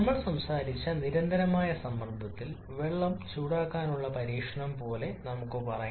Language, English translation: Malayalam, Let us say like the experiment of heating water at constant pressure that we talked about